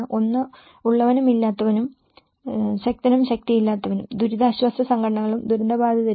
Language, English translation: Malayalam, One is the haves and the have nots, the powerful and the powerless, the relief organizations and the victims of the disaster